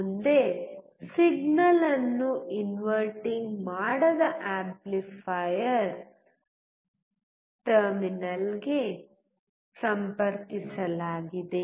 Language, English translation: Kannada, Next the signal is connected to the non inverting amplifier terminal